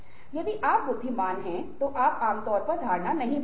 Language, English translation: Hindi, if you are intelligent, you generally don't change perception